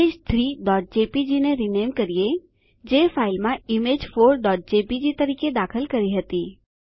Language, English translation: Gujarati, Lets rename the image Image 3.jpg, that we inserted in the file to Image4.jpg